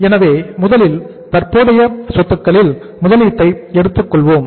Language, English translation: Tamil, So we will take here now the first investment in the current assets